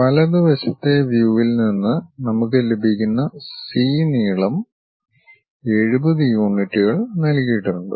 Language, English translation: Malayalam, The length C we will get it from the right side view, 70 units which has been given